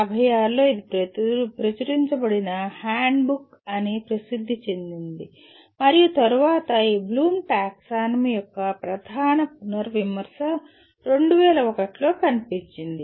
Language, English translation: Telugu, And in 1956 that is the book it is popularly known as handbook that was published and then a major revision of this Bloom’s taxonomy appeared in 2001